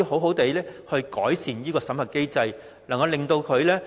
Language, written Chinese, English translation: Cantonese, 我們能否改善審核機制呢？, Can we improve the vetting and approval mechanism?